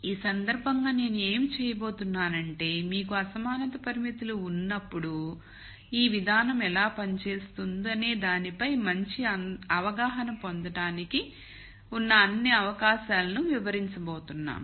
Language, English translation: Telugu, So, what I am going to do in this case is we are going to enumerate all possibilities for you to get a good understanding of how this approach works when you have inequality constraints